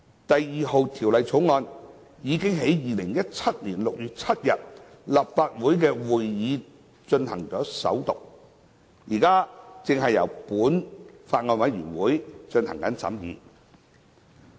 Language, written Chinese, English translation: Cantonese, 《第2號條例草案》已於2017年6月7日的立法會會議進行首讀，現正由本法案委員會進行審議。, The No . 2 Bill was read the First time at the Legislative Council meeting on 7 June 2017 and is now being scrutinized by the Bills Committee